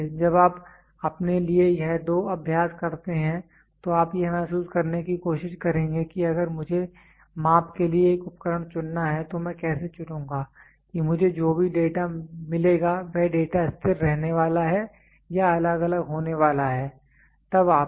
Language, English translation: Hindi, So, when you do this two exercise for yourself you will try to realize if at all I have to choose a instrument for measuring, how will I choose then whatever data I get is that data going to be constant or is it going to be varying